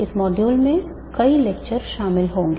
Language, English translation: Hindi, This module is the, will consist of several lectures